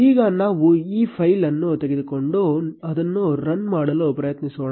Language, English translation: Kannada, Now, let us take this file and try running it